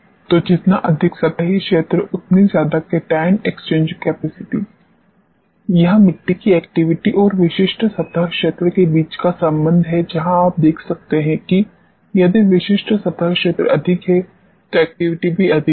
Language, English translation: Hindi, So, more surface area more cation exchange capacity this is the relationship between activity of the soil and a specific surface area where you can see that if specific surface area is more the activity is more